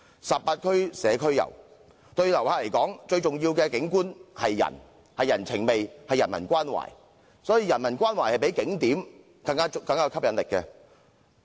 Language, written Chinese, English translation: Cantonese, 十八區社區遊，對旅客而言，最重要的景觀是人，是人情味，是人文關懷，人文關懷比景點更有吸引力。, As regards community tours in 18 districts the most important sight for visitor is people or a sense of humanity or humanistic care . Humanistic care is more appealing than tourist attractions